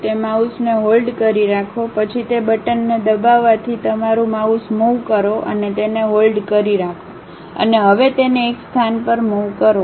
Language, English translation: Gujarati, Hold that mouse, then move your mouse by holding that button press and hold that and now move it to one location